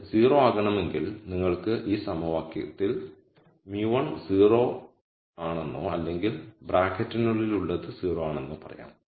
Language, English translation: Malayalam, So, for this to be 0 you could say in this equation either mu 1 is 0 or whatever is inside the bracket is 0